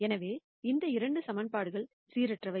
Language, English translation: Tamil, So, these 2 equations are inconsistent